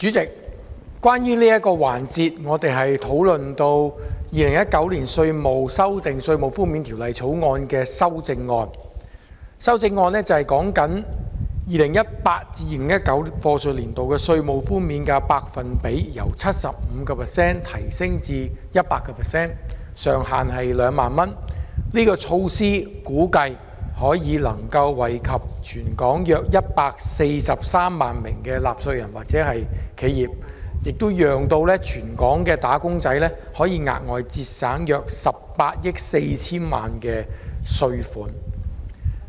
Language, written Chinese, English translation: Cantonese, 主席，我們在這個環節討論《2019年稅務條例草案》的修正案，是關於將 2018-2019 課稅年度的稅務寬免百分比由 75% 提升至 100%， 上限是2萬元，估計這項措施可以惠及全港約143萬納稅人或企業，讓全港"打工仔"額外節省約18億 4,000 萬元稅款。, Chairman in this section we will discuss the amendments to the Inland Revenue Amendment Bill 2019 . The amendments seek to increase the tax reduction percentage for the year of assessment 2018 - 2019 from 75 % to 100 % while retaining the ceiling of 20,000 . It is estimated that about 1.43 million taxpayers or enterprises in Hong Kong will benefit from this measure and wage earners across Hong Kong can enjoy a further saving of 1.84 billion in tax payment